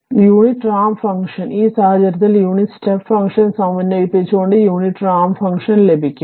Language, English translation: Malayalam, So, unit ramp function, in this case unit ramp function r t can be obtained by integrating the unit step function u t